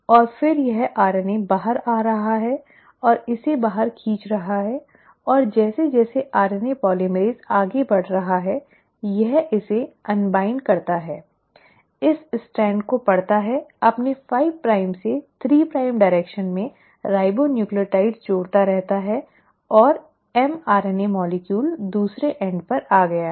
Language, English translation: Hindi, And this RNA is then coming out and it pulling out and as RNA polymerase is moving forward it further unwinds it, reads this strand, keeps on adding the ribonucleotides in its 5 prime to 3 prime direction and the mRNA molecule is coming out at the other end